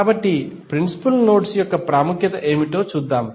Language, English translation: Telugu, So, let us see what is the significance of the principal nodes